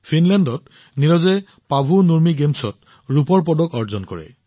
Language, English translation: Assamese, Neeraj won the silver at Paavo Nurmi Games in Finland